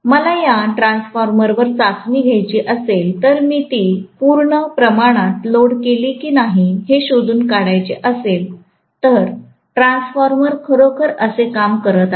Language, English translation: Marathi, If I have to conduct the test on this transformer and ascertain when I load it to the fullest extent, how the transformer is really performing